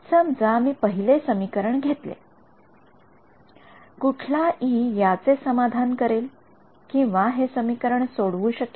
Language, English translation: Marathi, No right supposing I take the first equation what E satisfies this